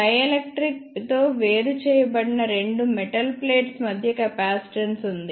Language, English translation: Telugu, A capacitance exist between two metal plates separated by a dielectric